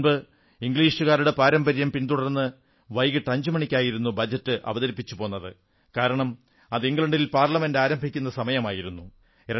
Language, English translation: Malayalam, Earlier, as was the British tradition, the Budget used to be presented at 5 pm because in London, Parliament used to start working at that time